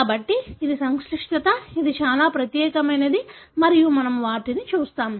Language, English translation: Telugu, So, this is a complexity which is very, very unique and we, we do see them